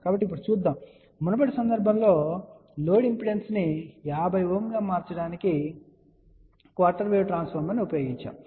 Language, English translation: Telugu, So, let us see now, we had seen in the previous case that a quarter wave transformer can be used to transform the load impedance to 50 Ohm